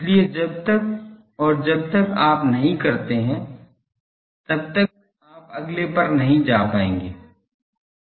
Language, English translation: Hindi, So, unless and until you be there you would not be able to go to the next one